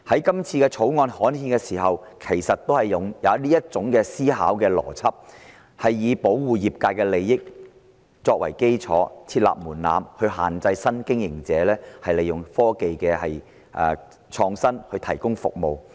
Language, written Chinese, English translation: Cantonese, 今次《條例草案》刊憲，當局亦是用這種思維邏輯，以保護業界利益為基礎，設立門檻限制新經營者利用創新科技提供服務。, When this Bill was gazetted the authorities have likewise adopted this line of thinking to set up thresholds to restrict new operators in applying innovation and technology to provide services so as to provide the interests of the trade